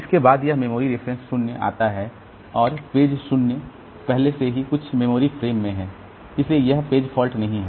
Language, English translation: Hindi, Then comes this memory reference 0 and the page 0 is already there in some memory frame so there is no page fault